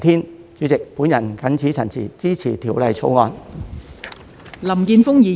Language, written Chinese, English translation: Cantonese, 代理主席，我謹此陳辭，支持《條例草案》。, With these remarks Deputy President I support the Bill